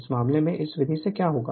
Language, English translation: Hindi, So, in this case what will happen the by this method